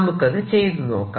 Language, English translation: Malayalam, so let's do that properly